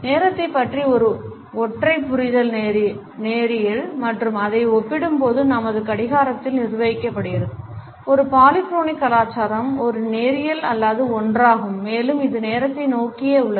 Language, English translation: Tamil, A monochronic understanding of time is linear and it is governed by our clock in comparison to it, a polychronic culture is a non linear one and it is more oriented towards time